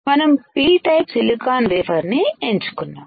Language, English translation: Telugu, We have chosen P type silicon wafer